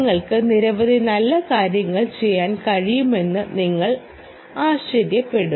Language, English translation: Malayalam, well, you will be surprised that you can do several nice things